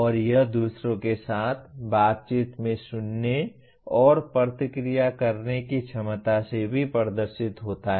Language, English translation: Hindi, And it also demonstrated by ability to listen and respond in interactions with others